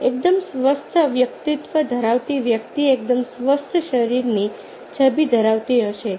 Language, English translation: Gujarati, a person with a fairly healthy personality will have a fairly healthy body image